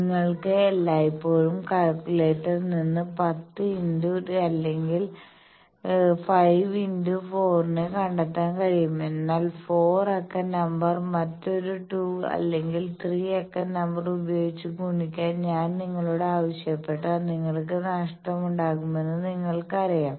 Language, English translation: Malayalam, Like calculator you can always find out 10 into or 5 into 4 by calculator also we know, but you know that if I ask you to make a 4 digit number multiply with another 2 or 3 digit number you will be at a loss